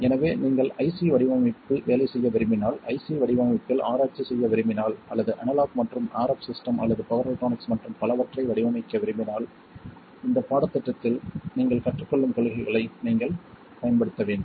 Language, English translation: Tamil, So if you want to take up a job in IC design or do research in IC design or design any kind of analog and RF system or power electronics and so on, you need to be able to use the principles that you learn in this course